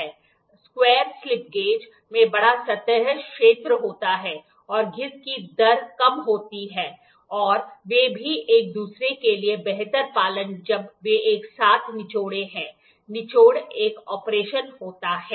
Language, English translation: Hindi, Square slip gauge have larger surface area and lesser wear rate they are they also adhere better to each other when wrung together, wrung is an operation